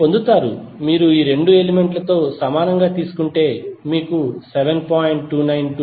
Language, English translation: Telugu, You will get, simply if you take the equivalent of these 2 elements, you will get 7